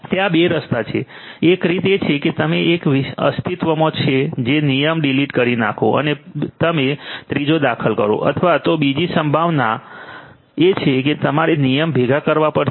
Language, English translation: Gujarati, There are 2 ways, one way is that you delete one existing rule and you insert the third one the other possibility is that you have to combine